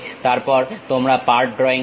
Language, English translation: Bengali, Then, you call part drawing